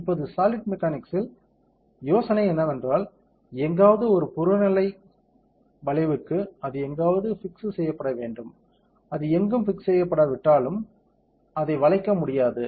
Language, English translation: Tamil, Now in solid mechanics the idea is that, for an objective bend somewhere it has to be fixed somewhere right, if it is not fixed anywhere it cannot bend